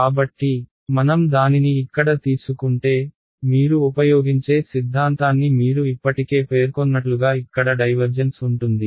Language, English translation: Telugu, So, if I take this over here then as you already mentioned the theorem that we will use is divergence here right